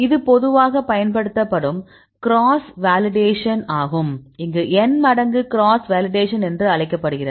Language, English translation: Tamil, This is the commonly used cross validation this called the N fold cross validation